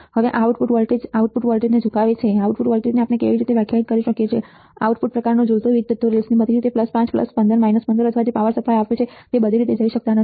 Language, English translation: Gujarati, Now, output voltage swing the output voltage, output voltage swing how we can define, the output kind swing all the way to the power supply rails right, cannot go all the way to plus 5 plus 15 minus 15 or whatever power supply we have given